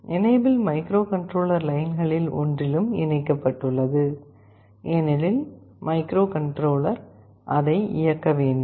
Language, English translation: Tamil, Enable is also connected to one of the microcontroller lines, because microcontroller has to enable it